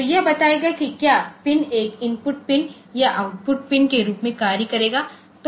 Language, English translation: Hindi, So, it will tell whether a pin will act as an input pin or an output pin